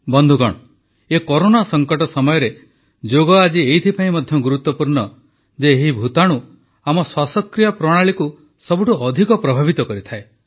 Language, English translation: Odia, during the present Corona pandemic, Yoga becomes all the more important, because this virus affects our respiratory system maximally